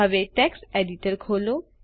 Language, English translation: Gujarati, Now lets open the text editor